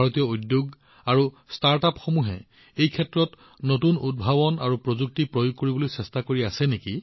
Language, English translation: Assamese, Indian industries and startups are engaged in bringing new innovations and new technologies in this field